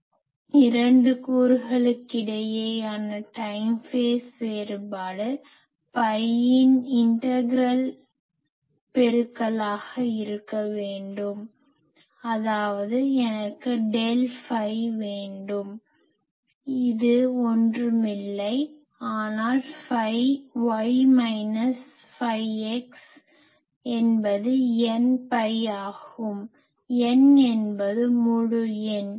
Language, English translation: Tamil, The time phase difference between the 2 components must be an integral multiple of pi; that means, what I want is del phi; which is nothing, but phi y minus phi x that should be n pi; n is integer